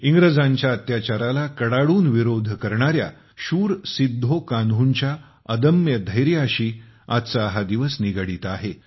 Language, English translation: Marathi, This day is associated with the indomitable courage of Veer Sidhu Kanhu, who strongly opposed the atrocities of the foreign rulers